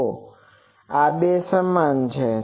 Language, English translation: Gujarati, So, this two are equated